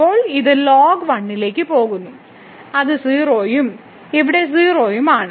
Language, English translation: Malayalam, So, now, this is go going to that is 0 and here also 0